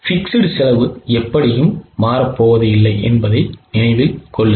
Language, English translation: Tamil, Keep in mind that fixed cost is anyway not going to change